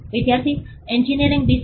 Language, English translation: Gujarati, Student: Engineering designs